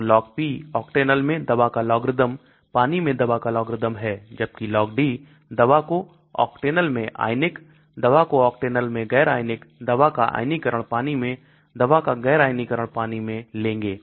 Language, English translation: Hindi, So the Log P is logarithm of drug in the Octanol/logarithm of drug in the water whereas Log D we will take drug in ionised in Octanol drug un ionised in Octanol/drug ionised in water drug un ionised in water